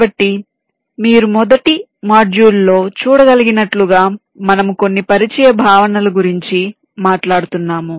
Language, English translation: Telugu, so, as you can see, in the first module we shall be talking about some of the introductory concepts